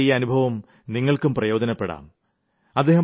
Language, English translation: Malayalam, Friends, his experience can be of use to you as well